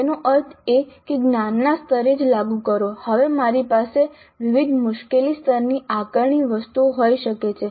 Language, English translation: Gujarati, That means at the applied cognitive level itself I can have assessment items of different difficulty levels